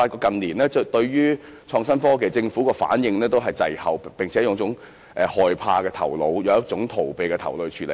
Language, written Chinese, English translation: Cantonese, 近年，我發現政府對創新科技的反應滯後，並且以一種害怕和逃避的態度來處理。, In recent years I have noticed that the Government has been caught in a lag in responding to innovation and technology adopting a fearful and evasive attitude